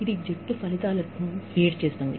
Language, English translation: Telugu, That feeds into the, team outcomes